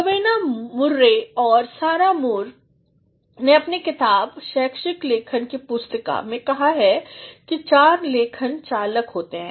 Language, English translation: Hindi, Rowena Murray and Sarah Moore in their book The Handbook of Academic Writing say that there are four ‘writing drivers